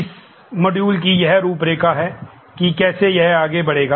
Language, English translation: Hindi, This is the module outline as it will span